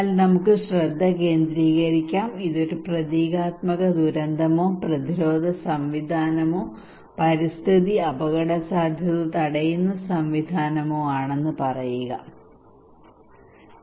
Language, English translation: Malayalam, But let us focus, consider that this is a symbolic disaster or preventive mechanism or environmental risk preventive mechanism